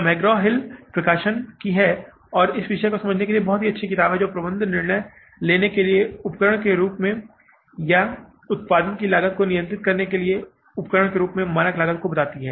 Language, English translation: Hindi, It is a McGrawill production, there is a Magrahill publication and it is a very good book for understanding this topic that is the standard costing as a tool of management decision making or as a tool of controlling the cost of production